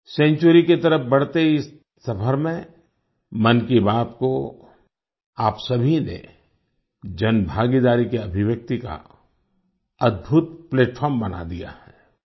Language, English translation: Hindi, In this journey towards a century, all of you have made 'Mann Ki Baat' a wonderful platform as an expression of public participation